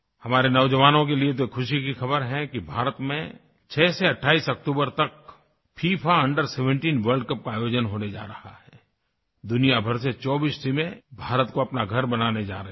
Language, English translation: Hindi, The good news for our young friends is that the FIFA Under 17 World Cup is being organized in India, from the 6th to the 28th of October